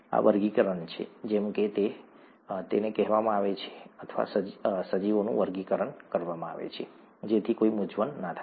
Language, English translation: Gujarati, This is the taxonomy, as it is called, or the way organisms are classified so that there is no confusion